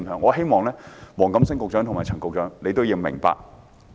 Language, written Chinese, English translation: Cantonese, 我希望黃錦星局長和陳肇始局長明白。, I hope that Secretary WONG Kam - sing and Secretary Prof Sophia CHAN can understand this situation